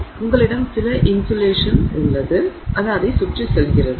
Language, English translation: Tamil, So, you have some insulation going around